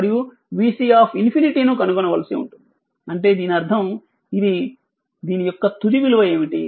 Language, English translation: Telugu, And you have to find out v c infinity, that means this one, what will be the final value of this one